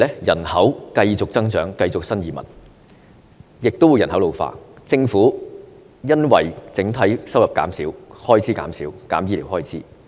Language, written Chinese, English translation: Cantonese, 人口繼續增長，不斷有新移民，亦加上人口老化，政府因為整體收入減少，開支減少，而削減醫療開支。, The population continued to grow new immigrants kept on coming and there was an ageing population . Due to decrease in the Governments overall revenue the expenditure was slashed and the expenditure on healthcare was cut